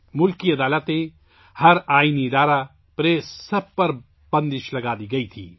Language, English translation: Urdu, The country's courts, every constitutional institution, the press, were put under control